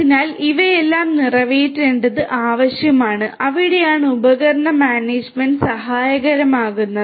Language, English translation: Malayalam, So, catering to all of these is what is required and that is where device management is helpful